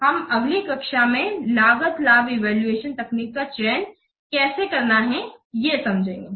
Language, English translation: Hindi, Then we have to select a cost benefit evaluation technique